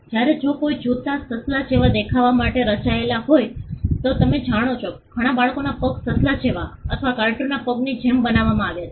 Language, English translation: Gujarati, Whereas, if a shoe is designed to look like a bunny or a rabbit you know many children shoes are designed like a rabbit or like a character in a cartoon